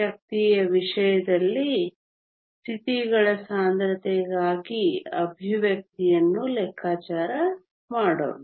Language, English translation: Kannada, Let us go ahead and calculate an expression for the density of states in terms of the energy